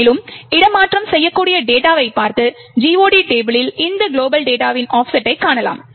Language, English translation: Tamil, Further, we can then look at the relocatable data and see the offset of this global data myglob in the GOT table